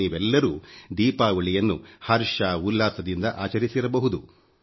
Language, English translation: Kannada, All of you must have celebrated Deepawali with traditional fervour